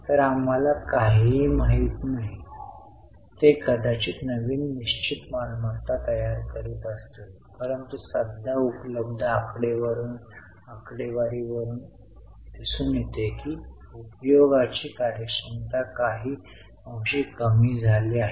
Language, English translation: Marathi, They might be constructing new fixed assets but the current data as of available right now shows that the efficiency of utilization has somewhat gone down